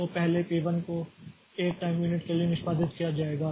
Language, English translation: Hindi, So, P 2 will execute for 1 time unit now